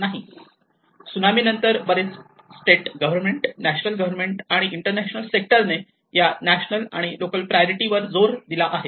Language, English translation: Marathi, And later on after the Tsunami, the many of the state governments and the national governments and the international sectors, they have emphasized that it has to be a national priority also with the local priority